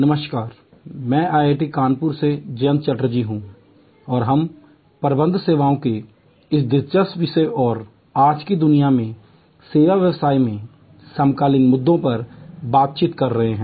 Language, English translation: Hindi, Hello, I am Jayanta Chatterjee from IIT, Kanpur and we are interacting on this interesting topic of Managing Services and the contemporary issues in the service business in today’s world